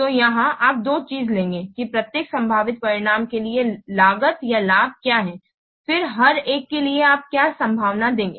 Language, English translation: Hindi, So here you will take two things that what is the cost or benefit for each possible outcome